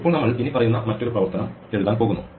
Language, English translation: Malayalam, Now, we are going to write another function which will do the following